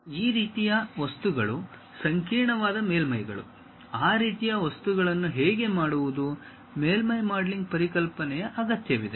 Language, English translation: Kannada, These kind of things have surfaces, a complicated surfaces; how to really make that kind of things requires surface modelling concept